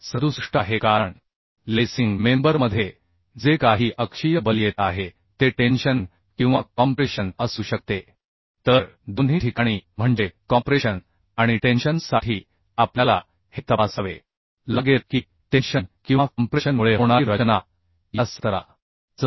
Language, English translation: Marathi, 67 because in lacing member the whatever axial force is coming that may be tension or compression So for both the case means for compression and for tension we have to check whether the design strength due to tension or compression is more than this 17